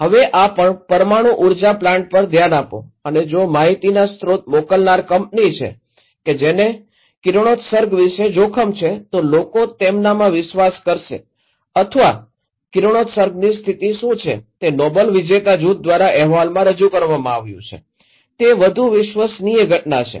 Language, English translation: Gujarati, Now, look into this nuclear power plant and if the source senders of information is this company who are at risk about the radiation, then people would believe them or what is the status of radiation is reported by a group of Nobel laureates who would be more trustworthy the event is same